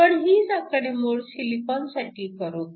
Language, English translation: Marathi, We can do the same calculation for silicon